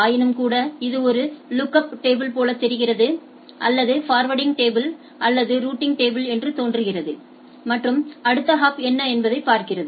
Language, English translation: Tamil, Nevertheless it takes up it looks as a lookup table or what we say forwarding table or routing table and sees that what is the next hop